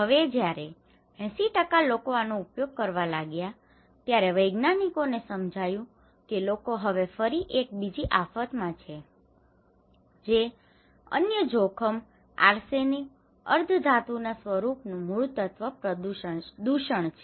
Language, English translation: Gujarati, Now, when the 80% people using this one then the scientists realised that the people now again exposed to another disaster, another risk that is arsenic contamination